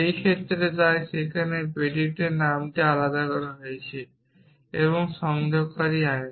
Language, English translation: Bengali, In this case so here predicate name is differentiated and you know connective